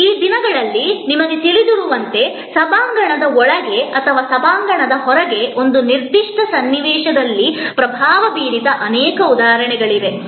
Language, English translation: Kannada, These days as you know, there are many instances of things that have happened inside an auditorium or influence outside the auditorium a certain situation